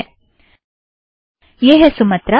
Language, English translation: Hindi, Alright, this is Sumatra